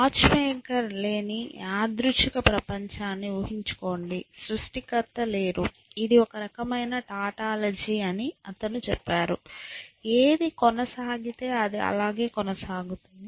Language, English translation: Telugu, Just imagine a random world where there is no watch maker, there is no creator, he says that see this is at this is a kind of tautology whatever persists, persists